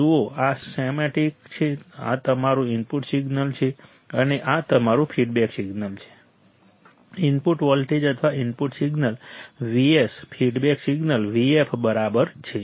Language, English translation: Gujarati, See this schematic, schematic is this is your input signal right and this is your feedback signal input voltage or input signal Vs feedback signal Vf all right